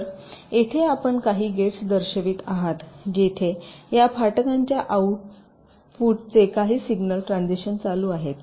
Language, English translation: Marathi, so here you show some gates where some signal transitions are taking place